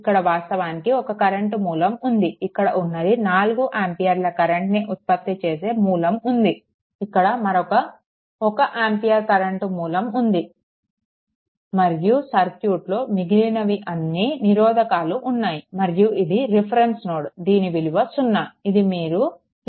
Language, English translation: Telugu, So, this is actually ah one current source is here, a 4 ampere current source is here, another one ampere current source is here and rest all the resistive circuit and this is your reference node potential is 0